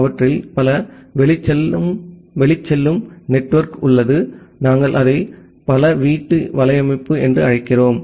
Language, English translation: Tamil, They have multiple outgoing network, we call it as a multi home network